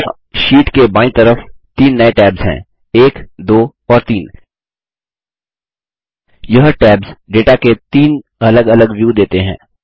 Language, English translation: Hindi, On the left side of the sheet there are 3 new tabs 1 2and 3 These tabs give 3 different views of the data